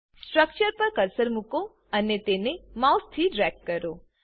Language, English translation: Gujarati, Place the cursor on the structure and drag it with the mouse